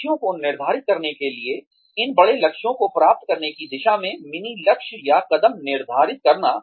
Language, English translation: Hindi, To set goals, to set mini goals or steps, towards achieving, these larger goals